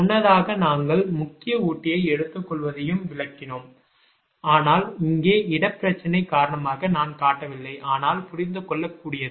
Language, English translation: Tamil, earlier we have explained also taking main feeder, but here because of the space problem i have not shown but understandable